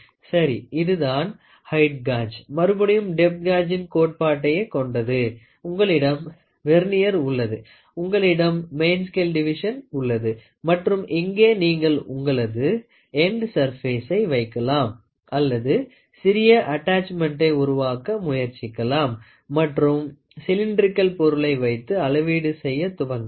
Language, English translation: Tamil, So, here is a height gauge, again the same concept of depth gauge, you have a Vernier here, you have a main scale division here and here you can try to put your end surfaces or you can try to make a small attachment and even put a cylindrical one and start measuring it